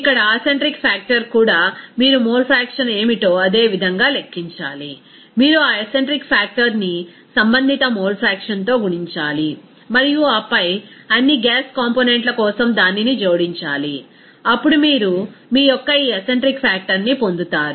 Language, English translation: Telugu, Here acentric factor also you have to calculate in the same way of what is the mole fraction, you have to multiply that acentric factor with that respective mole faction and then add it up for all the gas components, then you get this acentric factor of your as per problem here it is 0